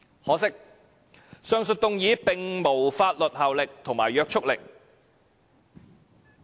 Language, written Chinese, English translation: Cantonese, 可惜，上述議案並無法律約束力。, Regrettably the motions above are not binding